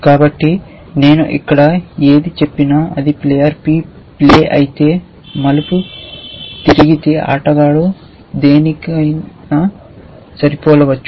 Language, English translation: Telugu, So, whatever I say here that if it is a players turn to play and the player could match anything